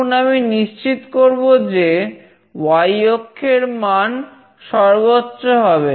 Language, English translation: Bengali, Now, I will make sure that the y axis value will be maximum